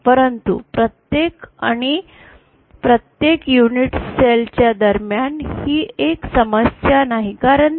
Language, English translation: Marathi, But at the between each and the each unit cell it is not a problem because they are